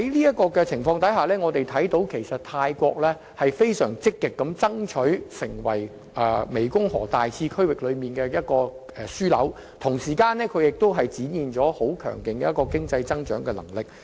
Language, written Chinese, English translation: Cantonese, 在這情況下，泰國正積極爭取成為大湄公河次區域的樞紐，同時亦展現其強勁的經濟增長能力。, Under such circumstances Thailand is actively striving to become the hub of GMS while flexing its muscles of economic growth